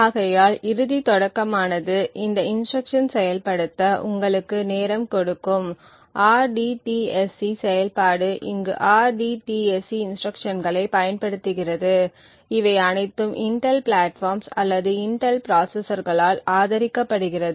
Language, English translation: Tamil, Therefore, the end start would give you the time taken to execute these instructions, rdtsc function are received over here uses something known as the rdtsc instruction which is supported by all Intel platforms or Intel processors